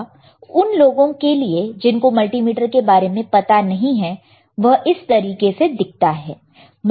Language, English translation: Hindi, For those who do not know how multimeter looks like for them, this is the multimeter